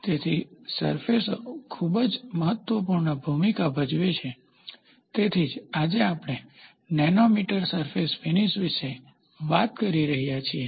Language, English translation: Gujarati, So, surfaces play a very very important role that is why today, we are talking about nanometer surface finish